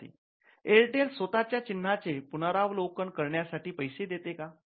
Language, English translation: Marathi, Student: The Airtel pay for the review of the own mark